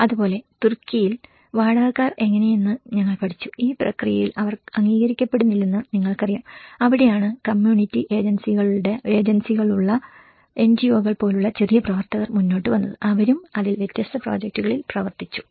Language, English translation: Malayalam, And similarly, in Turkey, we have also learned about how the renters, you know they are not recognized in the process and that is where the small actors like NGOs with community agencies came forward and they also worked on different projects on it, right